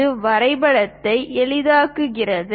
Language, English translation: Tamil, It simplifies the drawing